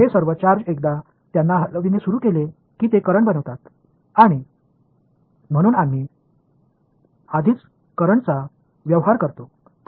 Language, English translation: Marathi, All of those charges once they start moving they become currents and we already dealing with currents